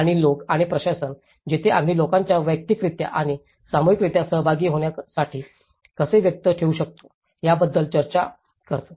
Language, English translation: Marathi, And the people and governance, where we talk about how we can engage the people to participate individually and as well as collectively